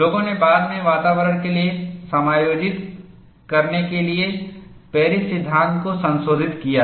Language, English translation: Hindi, People have later modified the Paris law to accommodate for the environment